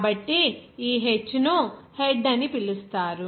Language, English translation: Telugu, So, this h will be called as head